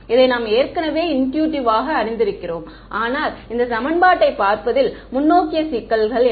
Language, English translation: Tamil, We have already knew this intuitively, but forward problem looking at this equation is what